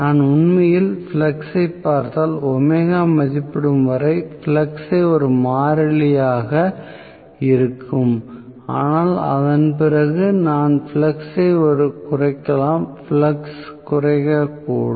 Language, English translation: Tamil, So, if I actually look at the flux the flux is going to remain as a constant until omega rated but after that I may reduce the flux the flux may get decreased